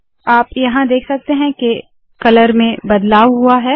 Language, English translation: Hindi, You can see that there is a change of color here